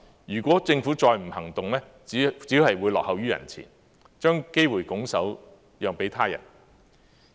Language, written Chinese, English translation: Cantonese, 如果政府再不行動，只會落後於人前，將機會拱手讓給他人。, If the Government does not act now it will only lag behind and give up the opportunity to others